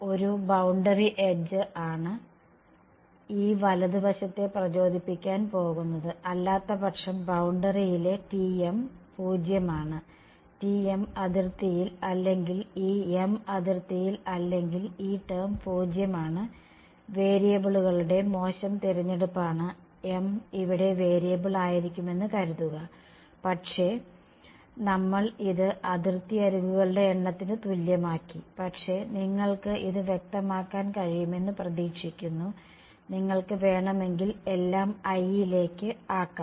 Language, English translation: Malayalam, A boundary edge is what is going to invoke this right hand side that is otherwise T m is 0 on the boundary right; if T if m is not on the boundary if this m is not on the boundary this term is 0 bad choice of variables m here is suppose to be variable, but we made it equal to number of boundary edges, but hopefully its clear you can make this all into i if you want